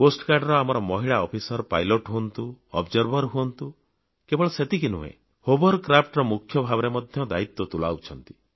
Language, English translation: Odia, Our Coast Guard women officers are pilots, work as Observers, and not just that, they command Hovercrafts as well